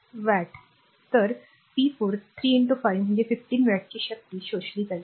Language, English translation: Marathi, So, p 4 will be 3 into 5 that is 15 watt power absorbed